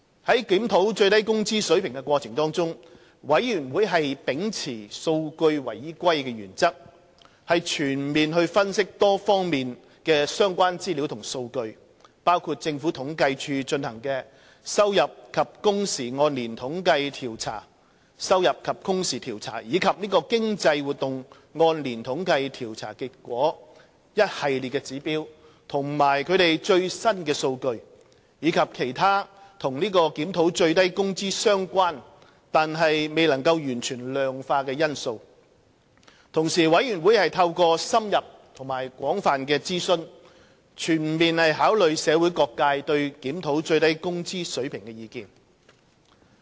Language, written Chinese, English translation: Cantonese, 在檢討最低工資水平的過程中，最低工資委員會秉持數據為依歸的原則，全面分析多方面的相關資料及數據，包括政府統計處進行的收入及工時按年統計調查及經濟活動按年統計調查的結果、"一系列指標"及其最新數據，以及其他與檢討最低工資相關但未能完全量化的因素。同時，最低工資委員會透過深入及廣泛的諮詢，全面考慮社會各界對檢討最低工資水平的意見。, In the course of reviewing the SMW rate MWC upheld the evidence - based approach by conducting comprehensive analyses of relevant information and data of various aspects including the Annual Earnings and Hours Survey and the Annual Survey of Economic Activities conducted by the Census and Statistics Department the Array of Indicators and its latest data as well as relevant factors which were pertinent to the review of SMW but could not be fully quantified